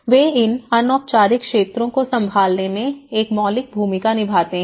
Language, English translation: Hindi, They play a fundamental role in handling these informal sectors